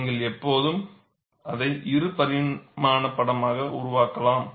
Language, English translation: Tamil, You can always make it as two dimensional sketch